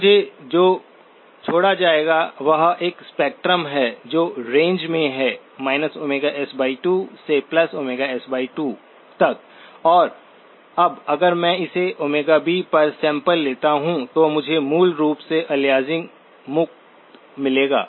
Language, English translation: Hindi, So what I will be left with is a spectrum that is in the range minus omega S by 2 to omega S by 2 and now if I sample it at omega B, then I basically will get aliasing free, right